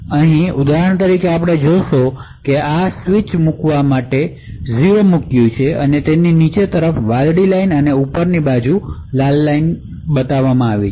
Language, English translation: Gujarati, So over here for the example you see that we have poured 0 for this particular switch and therefore it switches the blue line to the bottom and the Red Line on top and so on